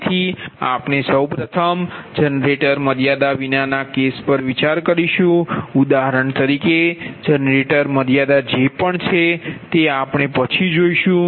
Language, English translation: Gujarati, so we will first consider the case without the generator limits, for example generator limit that we will see later